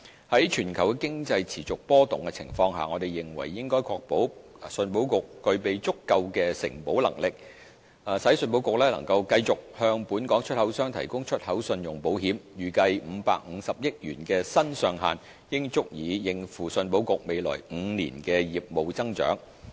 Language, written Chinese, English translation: Cantonese, 在全球經濟持續波動的情況下，我們認為應確保信保局具備足夠的承保能力，使信保局能繼續向本港出口商提供出口信用保險，預計550億元的新上限應足以應付信保局未來5年的業務增長。, In view of the continuing volatility in the global markets we consider that ECIC should be provided with sufficient underwriting capacity so that it can continue to provide export credit insurance covers to Hong Kong exporters . It is expected that the new cap of 55 billion should be sufficient to meet ECICs business growth in the next five years